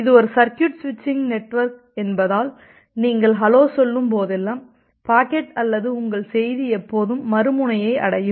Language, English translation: Tamil, Because you know that it is a circuit switching network and whenever you are saying hello, the packet will always or your message with always reach at the other end